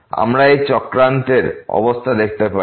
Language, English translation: Bengali, We can see the situation in this plot